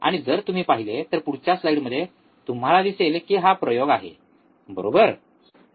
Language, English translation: Marathi, And if you see, in the next slide you see here this is the experiment, right